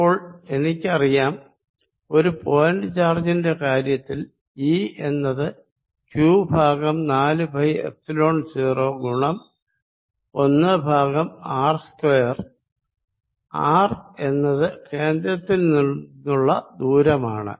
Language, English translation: Malayalam, now i know for a point: charge e is q over four pi epsilon zero one over r square, where r is a distance from the center